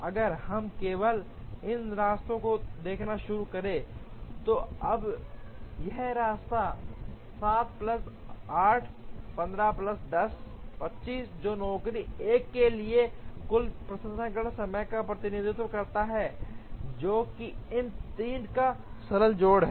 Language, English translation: Hindi, If we start looking at only these paths, now this path is 7 plus 8, 15 plus 10, 25, which represents the total processing time for job 1 which is a simple addition of these 3